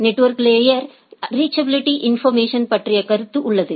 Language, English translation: Tamil, There is a concept of network layer reachability information